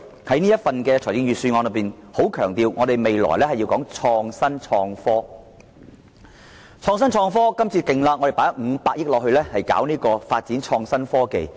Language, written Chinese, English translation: Cantonese, 這份預算案強調本港將來要創新、創科，更大力投放500億元發展創新科技。, The Budget highlights that Hong Kong has to emphasize innovation and technology in the future and what is more allocate 50 billion to the development of innovation and technology